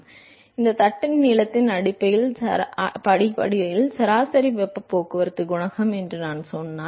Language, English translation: Tamil, So, if I say this is average heat transport coefficient based on the length of the plate